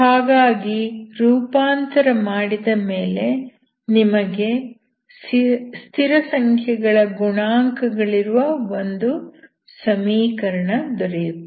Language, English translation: Kannada, So after transformation you get a equation with constant coefficients, that you know how to solve